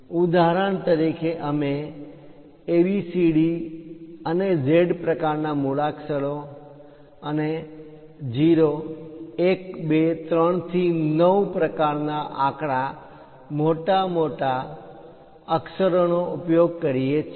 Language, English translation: Gujarati, For example, we use capital letters A, B, C, D to Z kind of things and 0, 1, 2, 3 to 9 kind of elements